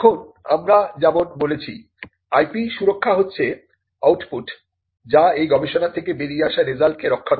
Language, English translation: Bengali, Now, IP protection as we said is the output that protects the results that come out of this research